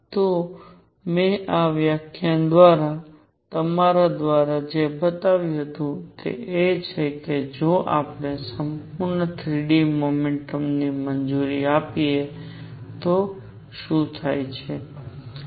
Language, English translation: Gujarati, So, what I have shown through you through this lecture in this is that if we allow full 3 d motion, what happens